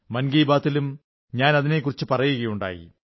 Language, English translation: Malayalam, I have touched upon this in 'Mann Ki Baat' too